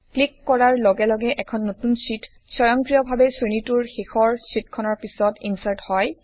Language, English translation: Assamese, On clicking it a new sheet gets inserted automatically after the last sheet in the series